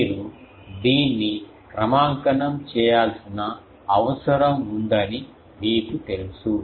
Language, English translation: Telugu, Particularly you know that you need to calibrate it